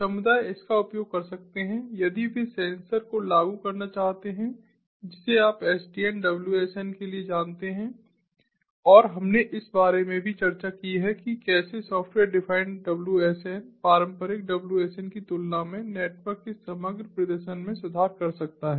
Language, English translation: Hindi, community can use it if they want to implement ah sensor, ah, you know sdn for wsns and we have also discussed about how software defined wsn can improve the overall performance of the network compared to the traditional wsns